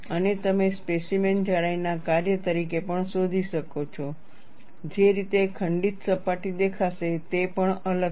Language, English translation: Gujarati, And you also find, as a function of specimen thickness, the way the fractured surface will appear is also different